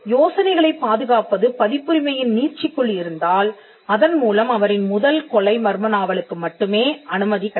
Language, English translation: Tamil, So, if protection of ideas was the scope of copyright then copyright law would only be allowing the first murder mystery